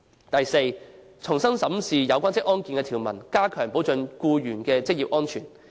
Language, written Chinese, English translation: Cantonese, 第四，重新審視有關職安健法例的條文，加強保障僱員的職業安全。, Fourthly it should examine afresh the provisions in the relevant occupational safety and health legislation to enhance the protection of occupational safety for employees